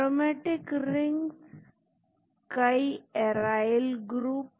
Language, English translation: Hindi, Aromatic rings, lot of arryl groups